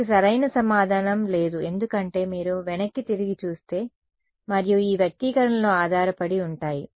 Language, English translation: Telugu, There is no good answer for it because, it depends if you look back and these expressions